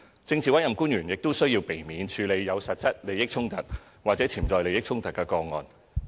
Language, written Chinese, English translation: Cantonese, 政治委任官員亦須避免處理有實際利益衝突或潛在利益衝突的個案。, PAOs shall refrain from handling cases with actual or potential conflict of interest as well